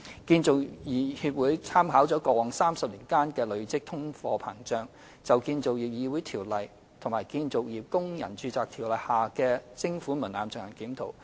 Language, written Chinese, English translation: Cantonese, 建造業議會參考過去30年間的累積通貨膨脹，就《建造業議會條例》及《建造業工人註冊條例》下的徵款門檻進行檢討。, Taking into account the accumulative inflation over the past three decades the Construction Industry Council CIC completed a review on the levy thresholds under the Construction Industry Council Ordinance and the Construction Workers Registration Ordinance